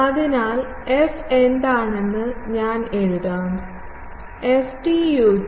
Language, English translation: Malayalam, So, I will write f is what; ft ut plus fz z